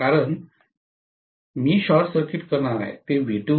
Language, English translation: Marathi, Because I am going to short circuit it V2 become 0